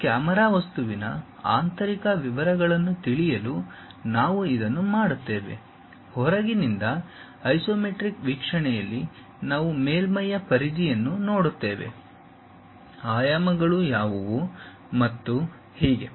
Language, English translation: Kannada, This we do it to know interior details of that camera object, from outside at isometric view we will see the periphery of the surface, what are the dimensions and so on